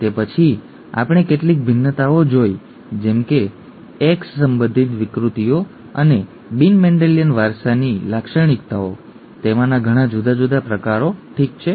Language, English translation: Gujarati, After that we saw some variations such as X linked inheritance of disorders and the non Mendelian inheritance characteristics, very many different kinds of those, okay